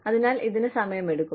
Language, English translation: Malayalam, So, it takes time away